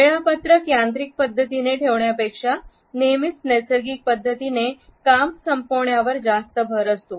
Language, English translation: Marathi, There is always more emphasis on finishing the natural agenda first rather than keeping the schedule in a mechanical manner